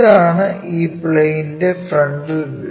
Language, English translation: Malayalam, So, this is the,from frontal view this plane